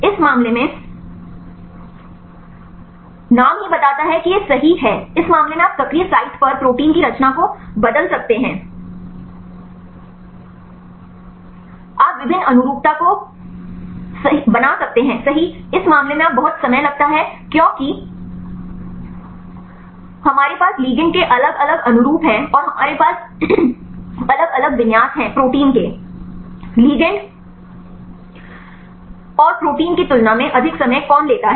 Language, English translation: Hindi, In this case name itself tells it is flexible right in this case you can change the conformation of protein at the active site, you can make various conformations right in this case takes enormous time because we have the different conformations of ligand and also we have different configuration of protein compared with ligand and protein which takes more time